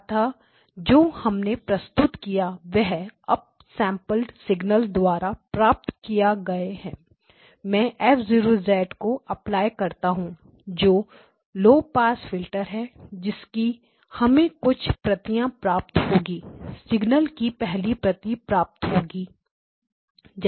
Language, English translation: Hindi, The shifted version so basically this is what gets presented when we have the up sampled signal onto this, I am applying F0 of Z, so F0 of Z is a low pass filter which will have some response of that type, so the first copy of the signal goes through